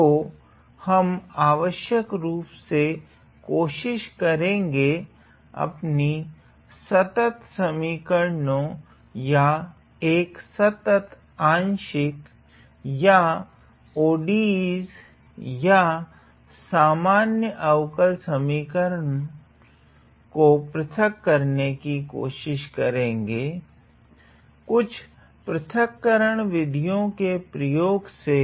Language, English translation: Hindi, So, essentially we are trying to discretize our continuous equations or a continuous partial or ODEs or Ordinary Differential Equations, using some discretization schemes